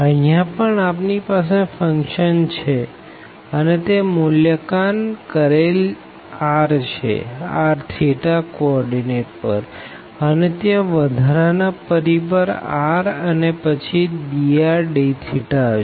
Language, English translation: Gujarati, So, here also we have the function and then that will be evaluated r at this coordinate here r theta, and they will be additional factor r and then dr d theta